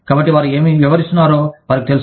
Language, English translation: Telugu, So, they know, what they are dealing with